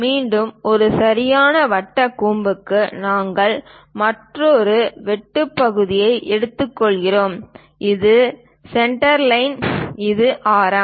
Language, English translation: Tamil, Again for a right circular cone; we take another cut section, this is the centerline, this is the radius